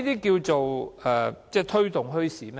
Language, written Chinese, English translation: Cantonese, 這就是推動墟市嗎？, Will this promote bazaar development?